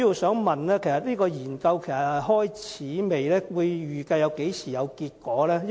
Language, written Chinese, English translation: Cantonese, 這項研究是否已經展開，預計何時會有結果？, Has the study commenced and when will its findings be available?